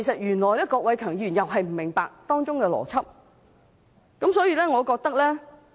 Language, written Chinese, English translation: Cantonese, 原來郭偉强議員也不明白當中的邏輯。, Surprisingly Mr KWOK does not understand this logic